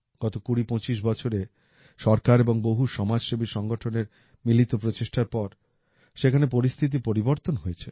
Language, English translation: Bengali, During the last 2025 years, after the efforts of the government and social organizations, the situation there has definitely changed